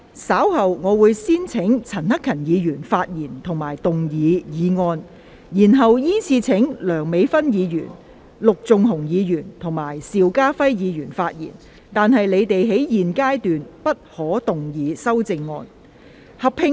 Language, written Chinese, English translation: Cantonese, 稍後我會先請陳克勤議員發言及動議議案，然後依次序請梁美芬議員、陸頌雄議員及邵家輝議員發言，但他們在現階段不可動議修正案。, Later I will first call upon Mr CHAN Hak - kan to speak and move the motion . Then I will call upon Dr Priscilla LEUNG Mr LUK Chung - hung and Mr SHIU Ka - fai to speak in sequence but they may not move their amendments at this stage